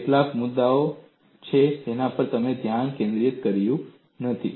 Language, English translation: Gujarati, There are certain issues which you have not focused